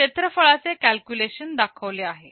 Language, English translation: Marathi, The area calculation is shown